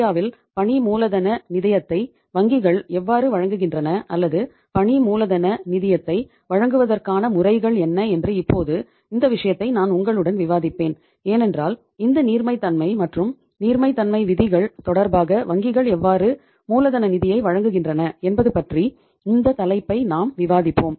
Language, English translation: Tamil, Now I will discuss with you uh one thing that say how the banks provide the working capital finance in India or what are the mods of providing the working capital finance because we are discussing this topic so uh in relation to this liquidity and the liquidity ratios let us know about that how the banks provide the working capital finance